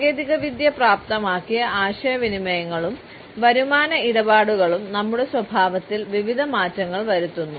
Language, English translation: Malayalam, Technology enabled communications and earning transactions bring about various changes in our behaviours